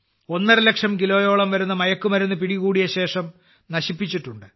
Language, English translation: Malayalam, 5 lakh kg consignment of drugs, it has been destroyed